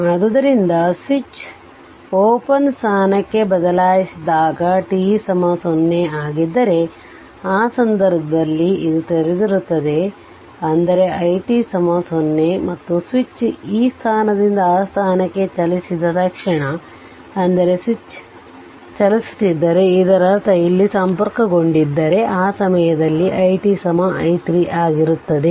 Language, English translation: Kannada, So, when switch in this position whatever shown in this figure at t is equal to your what you call it is switch is open at t equal to 0, but when switch is in this position that is t less than 0, in that case this is open; that means, your i t is equal to 0, right